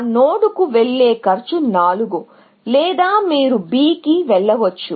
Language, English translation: Telugu, The cost of going to that node is 4, or you can go to B